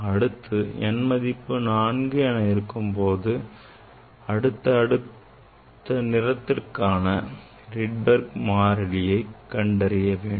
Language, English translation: Tamil, you calculate Rydberg constant for n equal to 4 next colors calculate Rydberg constant